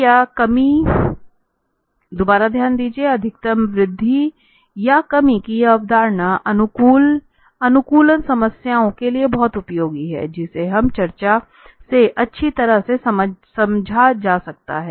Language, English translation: Hindi, So, just a note this concept of maximum increase or decrease is very useful for optimization problems, which is well understood from this discussion